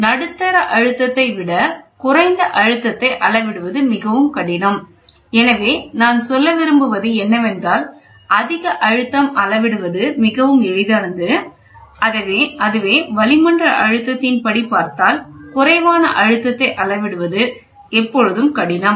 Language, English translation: Tamil, Low pressure are more difficult to measure than medium pressure; so, I told you anything which is higher in pressure it is easy, if you want to go this is atmospheric pressure, anything lower than that is always a difficult